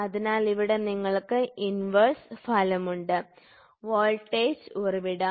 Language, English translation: Malayalam, So, here you have inverse effect which is given; so, voltage source